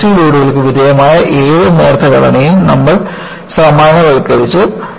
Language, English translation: Malayalam, Any thin structure, subjected to compressive loads can be buckled